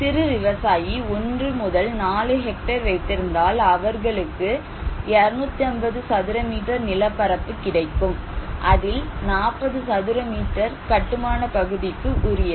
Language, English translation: Tamil, The small farmer, between 1 to 4 hectare landholding and others, they can have 250 square meter plot area and the construction area will be 40 square meters